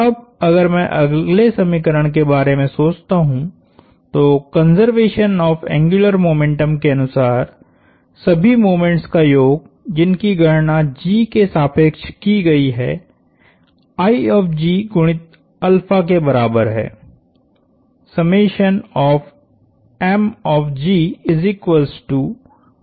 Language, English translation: Hindi, Now, if I think of the next equation we said conservation of angular momentum, what it tells us is that the sum of all moments computed about G is equal to I sub G times alpha